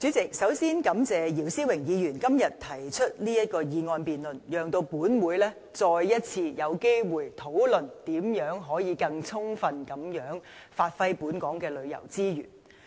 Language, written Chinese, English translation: Cantonese, 主席，首先感謝姚思榮議員今天提出這項議案辯論，讓本會再一次有機會，討論如何充分地發揮本港旅遊資源的優勢。, President first of all I thank Mr YIU Si - wing for moving this motion debate today so that this Council can once again have the chance to discuss how to give full play to the edges of local tourism resources